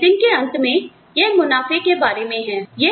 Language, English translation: Hindi, So, at the end of the day, it is all about profits